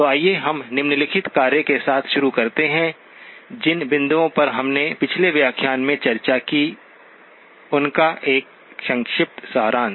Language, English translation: Hindi, So let us begin with the following task, a quick summary of the points that we discussed in the last lecture